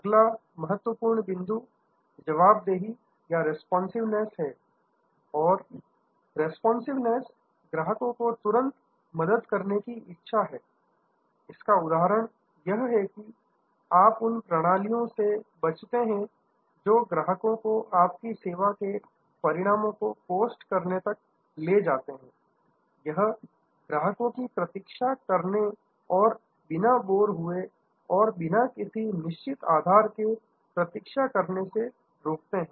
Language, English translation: Hindi, The next item is responsiveness and responsiveness is the willingness to help the customer promptly, it example is that you avoid systems that make the customer go from pillar to post; that make the customer wait without any involvement and get board and wait for no operand reason